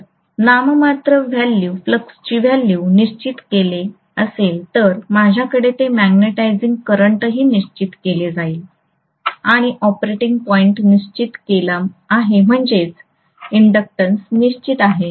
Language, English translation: Marathi, If nominal flux value is fixed clearly, I will have that magnetising current also fixed and the operating point is fixed which means that inductance is fixed